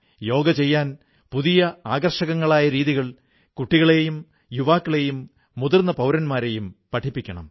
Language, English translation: Malayalam, Yoga has to be made popular among the youth, the senior citizens, men and women from all age groups through interesting ways